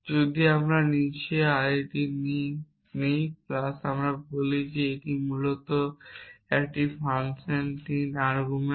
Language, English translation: Bengali, If we take arity 3 below plus we say that it is a function 3 argument essentially